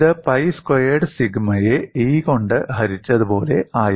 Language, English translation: Malayalam, It was something like pi squared sigma a divided by a